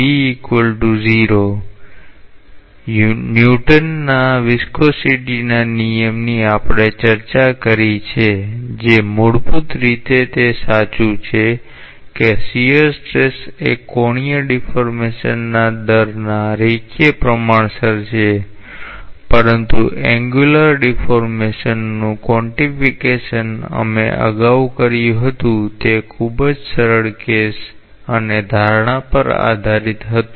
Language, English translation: Gujarati, So, whatever form of Newton s law of viscosity we have discussed in the fundamental way, it is correct that is the shear stress is linearly proportional to the rate of angular deformation, but the quantification of angular deformation that we made earlier was based on a very simple case and assumption